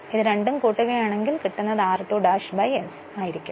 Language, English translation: Malayalam, And if you divide by this one it will be r 2 dash by s